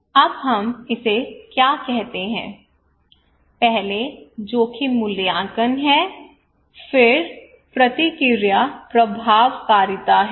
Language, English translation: Hindi, Now what we call this one, first is risk appraisal then is response efficacy